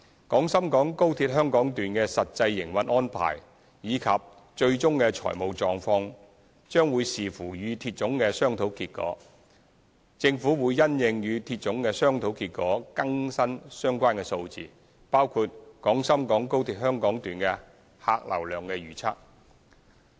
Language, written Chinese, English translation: Cantonese, 廣深港高鐵香港段的實際營運安排及最終的財務狀況將視乎與鐵總的商討結果，政府會因應與鐵總的商討結果更新相關數字，包括廣深港高鐵香港段的客流量預測。, The actual operational arrangements and ultimate financial conditions of the Hong Kong Section of XRL will depend on the outcomes of discussion with CR . The Government will update the related figures based on the outcome of the discussions with CR including the passenger forecast of the Hong Kong Section of XRL